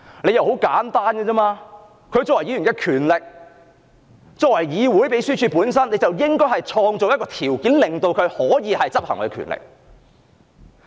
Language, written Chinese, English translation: Cantonese, 理由很簡單，她作為議員有此權力，議會的秘書處應創造條件讓她行使這項權力。, The reason is very simple She as a Member does have such powers and the Secretariat of this Council should put in place arrangements to facilitate the exercise of her powers as a Member